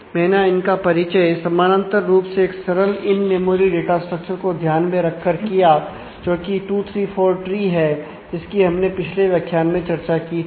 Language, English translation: Hindi, I have introduced them in keeping in parallel with the simpler in memory data structure for this which is a 2 3 4 tree discussed in the last module